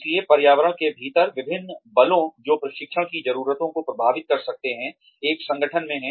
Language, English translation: Hindi, So, various forces within the environment, that can influence training needs, in an organization are unions